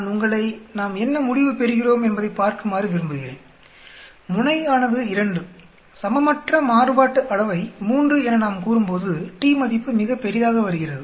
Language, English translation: Tamil, I want you to see what is the result we get comma, comma tail is 2 comma we can say unequal variance 3, t value comes out very large